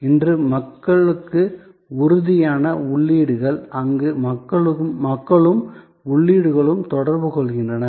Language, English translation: Tamil, So, these are tangible inputs to people, where people and the inputs interact